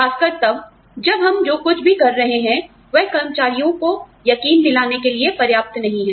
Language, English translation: Hindi, Especially, if whatever we are doing, is not convincing enough, for our employees